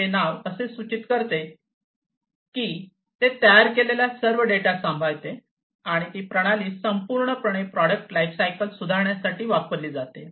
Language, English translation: Marathi, As this name suggests, it manages all the generated data and that is used for improving the life cycle product lifecycle overall